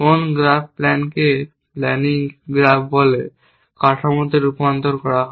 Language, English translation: Bengali, What graph plan does is to convert it into structure called a planning graph